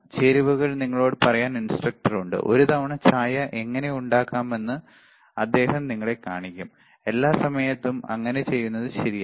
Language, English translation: Malayalam, Instructor is there to tell you the ingredients, he will show you how to make tea for one time, not every time right